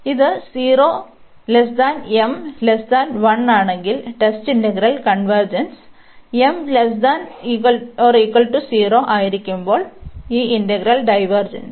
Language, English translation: Malayalam, So, if this m lies between 0 and 1, the integral test integral convergence; and when m is less than equal to 0, this integral diverges